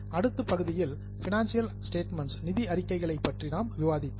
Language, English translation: Tamil, In the next part, we discussed about financial statements